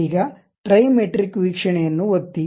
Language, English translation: Kannada, Now, click the Trimetric view